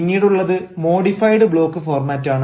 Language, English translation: Malayalam, that is why we call it a modified block format